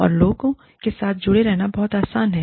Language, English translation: Hindi, And, it is very easy, to stay connected with people